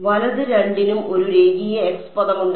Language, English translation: Malayalam, Right both of them has a linear x term